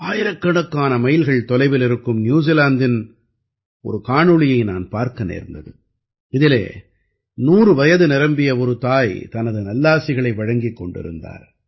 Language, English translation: Tamil, I also saw that video from New Zealand, thousands of miles away, in which a 100 year old is expressing her motherly blessings